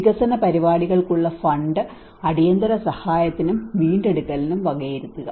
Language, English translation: Malayalam, Divert funds for development programmes to emergency assistance and recovery